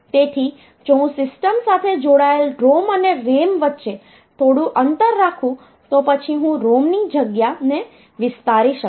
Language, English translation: Gujarati, So, that if I keep some gap between ROM and RAM connected to the system their addresses, then I will be able to extend the ROM space later